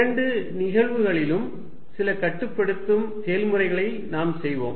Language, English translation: Tamil, In both the cases, we will be doing some limiting processes